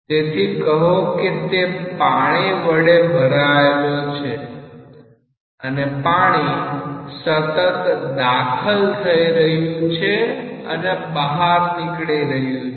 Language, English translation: Gujarati, So, this is filled with say water and water is continuously entering and leaving like that